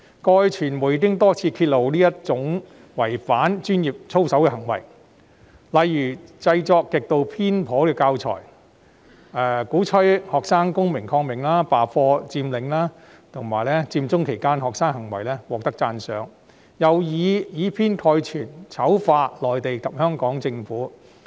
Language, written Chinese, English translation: Cantonese, 過去傳媒多次揭露這種違反專業操守的行為，例如有教師製作極度偏頗的教材，鼓吹學生公民抗命、罷課、佔領，並對學生在佔中期間的行為予以讚賞，更以偏概全地醜化內地及香港政府。, The media had exposed time and again that teachers violated their professional conduct in the past . For instance some teachers produced extremely biased teaching materials that advocated students participation in civil disobedience class boycotts and occupation and praised students for what they did during the Occupy Central movement . Worse still they vilified the Mainland and Hong Kong governments in a biased manner